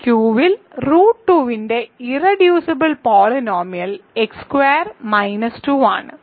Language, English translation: Malayalam, So, the irreducible polynomial of root 2 over Q is x squared minus 2